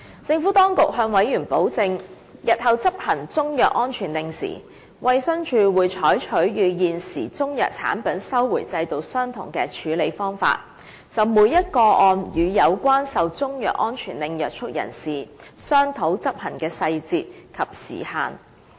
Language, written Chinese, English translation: Cantonese, 政府當局向委員保證，日後在執行中藥安全令時，衞生署會採取與現時中藥產品收回制度相同的處理方法，就每宗個案與受中藥安全令約束人士商討執行細節和時限。, The Administration assured Members that for the enforcement of a CMSO in the future DH would follow the current approach by discussing the details of the enforcement method and the time frame with the person subject to the CMSO in each case